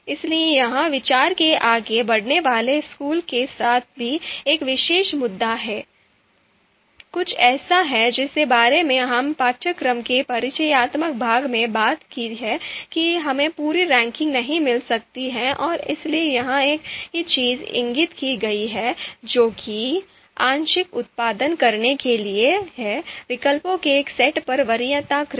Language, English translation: Hindi, So this is also a particular you know issue with the outranking school of thought, something that we have talked about in the introductory part of the course that we might not get the you know complete ranking and therefore the same thing is indicated here that produce a partial preference order on a set of alternatives